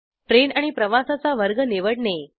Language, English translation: Marathi, To select the train and the class of travel